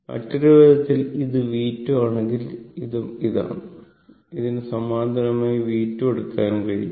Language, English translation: Malayalam, In other way in other way, if you do this is V 2 , and this is also this one also you can take V 2 this parallel to this, right